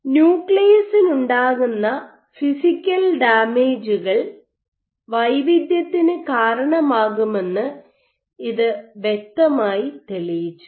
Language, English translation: Malayalam, So, this is a clear demonstration that physical damage to the nucleus can induce heterogeneity